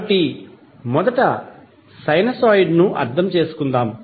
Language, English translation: Telugu, So, let's first understand sinusoid